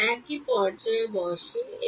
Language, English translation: Bengali, Sit at a point and